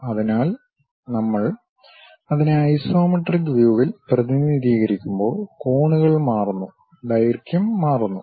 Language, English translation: Malayalam, So, they true objects when we are representing it in isometric views; the angles changes, the lengths changes